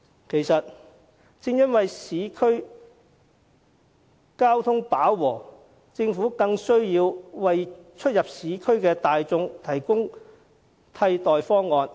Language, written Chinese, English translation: Cantonese, 其實，正因為市區交通飽和，政府更有需要為出入市區的大眾提供替代方案。, In fact as traffic in the urban areas is reaching full capacity it seems necessary for the Government to put forth alternatives for the public to commute in the urban areas